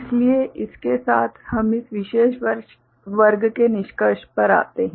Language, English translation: Hindi, So, with this we come to the conclusion of this particular class